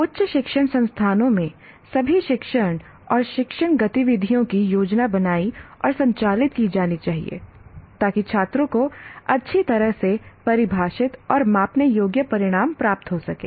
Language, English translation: Hindi, And further, all teaching and learning activities in higher education institutions should be planned and conducted to facilitate students to attain well defined and measurable outcomes